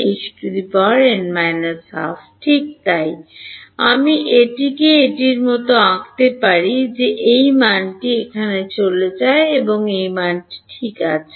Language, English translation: Bengali, E n minus 1 H n minus half right so, I can draw it like this that this value goes into here and so does this value ok